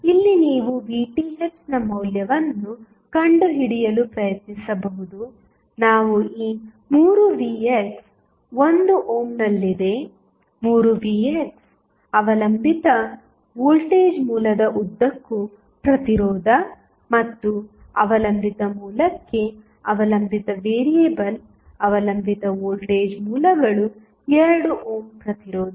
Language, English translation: Kannada, So, here you can just try to find out the value of Vth we are these 3 Vx is there in 1 ohm is the resistance along the 3 Vx dependent voltage source and the dependent variable for the depending source the dependent voltage sources the voltage across 2 ohm resistance